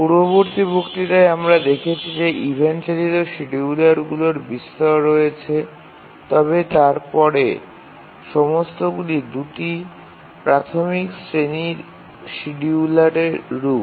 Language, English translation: Bengali, We said if you remember in the previous lecture that there are large variety of event driven schedulers but then all of them are variants of two basic categories of schedulers